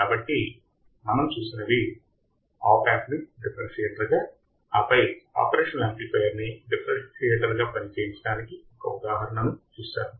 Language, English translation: Telugu, So, what we have seen, we have seen the opamp as a differentiator, and then we have seen the example of operational amplifier as a differentiator all right